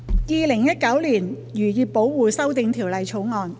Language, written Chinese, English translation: Cantonese, 《2019年漁業保護條例草案》。, Fisheries Protection Amendment Bill 2019